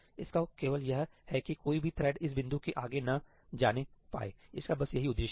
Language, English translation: Hindi, The only purpose itís serving is that no thread can go beyond this point that is the purpose itís serving